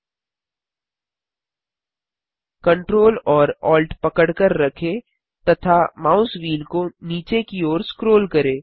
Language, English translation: Hindi, Hold ctrl, alt and scroll the mouse wheel downwards